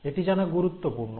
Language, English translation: Bengali, So this is important to know